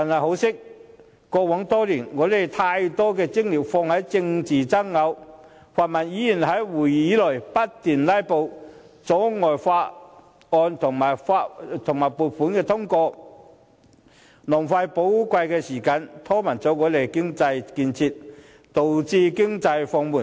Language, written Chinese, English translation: Cantonese, 可惜，過往多年我們把太大精力放在政治爭拗上，泛民議員在會議內不斷"拉布"，阻礙法案和撥款通過，浪費寶貴時間，拖慢了我們的經濟建設，導致經濟放緩。, It is a shame that in the past few years we have spent too much energy on political rows . The incessant filibusters of the pan - democratic Members in this Council have impeded the passage of bills and approval of funding applications wasted precious time stalled our economic development and slowed down the economic growth